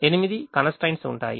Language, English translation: Telugu, there will be eight constraints